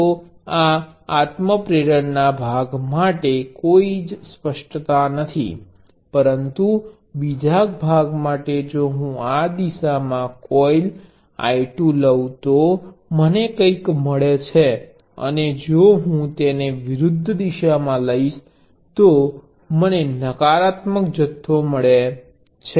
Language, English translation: Gujarati, So, there is no ambiguity for the self inductance part for this itself, but for the second part if I take coil 2 I 2 in this direction, I get something and if I take it in the opposite direction, I get the negative quantity